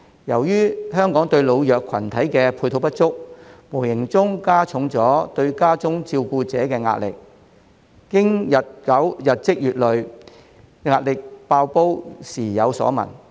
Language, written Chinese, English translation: Cantonese, 由於香港對老弱群體的配套不足，無形中加重對家中照顧者的壓力，經過日積月累，壓力"爆煲"時有所聞。, Due to a lack of support facilities for the elderly and the weak in Hong Kong carers at home are subject to greater pressure . The accumulated pressure had resulted in frequent incidents caused by unbearable pressure